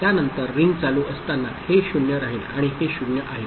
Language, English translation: Marathi, After that during ringing this is this remains 0 and this is 0